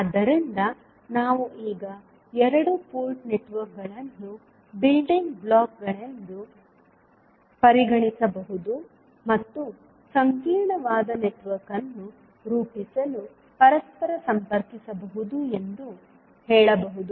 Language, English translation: Kannada, So we can now say that the two port networks can be considered as a building blocks and that can be interconnected to form a complex network